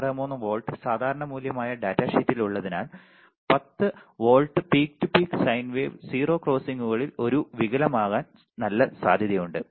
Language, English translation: Malayalam, 5 volts specification right in the datasheet there is a good chance that 10 volts peak to peak sine wave will have a distortion at 0 crossings